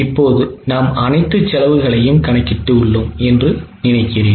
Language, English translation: Tamil, I think since now we have calculated all the costs